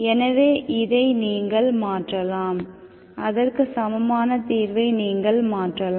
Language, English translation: Tamil, So this you can convert it, you can make equivalent